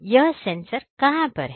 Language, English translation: Hindi, So, where are these sensors